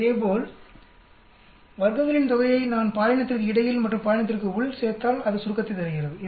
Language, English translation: Tamil, Similarly, sum of squares if I add up between gender and within gender it gives the total